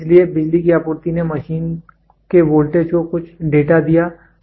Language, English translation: Hindi, So, the power supply gave some data to the machine voltage it gave, current it gave